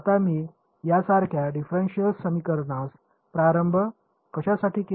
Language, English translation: Marathi, Now why I have chosen the differential equation like this to start off with